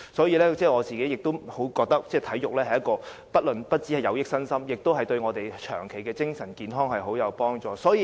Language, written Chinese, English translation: Cantonese, 而我自己亦覺得體育不單有益身心，也有助我們長期的精神健康。, Also I deem that sports is not only good for our health but also beneficial to our long - term mental well - being